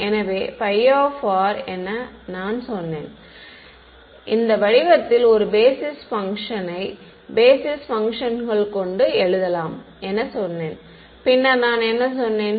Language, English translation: Tamil, So, I said phi of r; I said I can write in this form a basis a set of basis functions right, and then what did I say